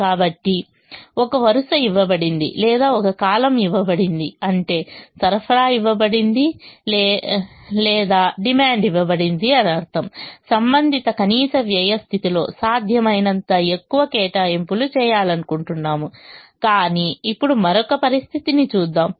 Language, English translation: Telugu, so, given a row or given a column, which means given a supply or given a demand, we would like to have as much allocation as possible in the corresponding least cost position